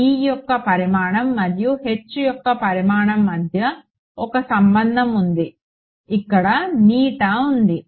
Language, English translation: Telugu, Is a relation between the magnitude of E and the magnitude of H right there is a eta